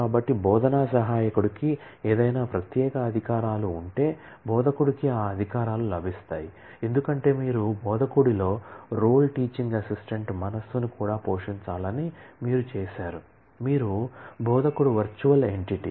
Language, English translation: Telugu, So, it means that any privilege the teaching assistant will have, the instructor will get those privileges, because, you have made in instructor to also play the role teaching assistant mind you instructor itself is virtual entity